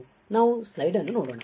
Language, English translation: Kannada, So, let us see the slide